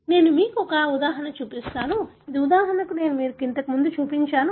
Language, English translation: Telugu, I will show you one example, which is again probably I have shown you before